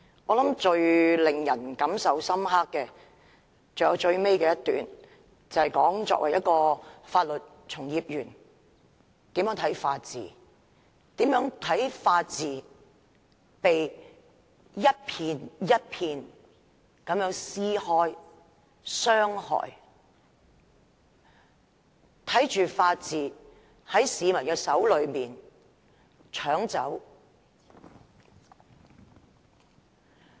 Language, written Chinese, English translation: Cantonese, 我想最令人感受深刻的是最後一段，那段談到作為法律從業員應如何看待法治，如何看待法治被一片、一片地撕開、被傷害，看着法治在市民的手中被搶走。, I think the most impressive point lies in the last paragraph in which Margaret NG expounds on how she as a legal practitioner sees the rule of law and how she feels when the rule of law is being gradually peeled of layer by layer and taken away from the people